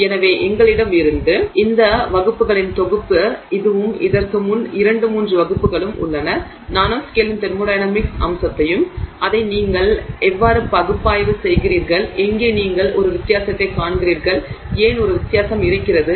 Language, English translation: Tamil, So, this set of classes that we had this one and the few two three ones before this are all looking at the thermodynamic aspect of the nanoscale and how you analyze it where you see a difference and why there is a difference